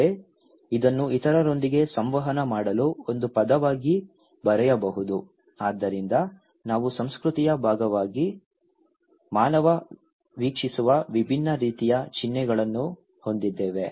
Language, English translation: Kannada, Also, it could be written as a word to communicate with others okay so, we have different kind of symbols that human views as a part of culture